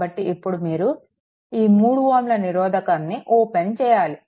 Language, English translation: Telugu, Now, if you open this 3 ohm resistance